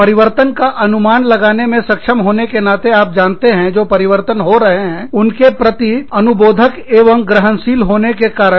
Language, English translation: Hindi, Being able to anticipate the changes, you know, being perceptive, being receptive to the changes, that are occurring